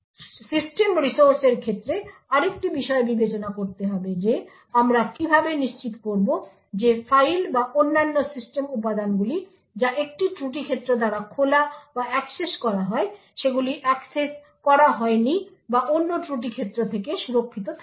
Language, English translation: Bengali, to the system resources how would we ensure that files or other system components which are opened or accessed by one fault domain is not accessed or is protected from another fault domain